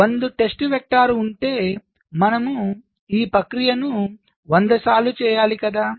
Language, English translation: Telugu, so if there are, say, hundred test vectors at to do this process hundred times right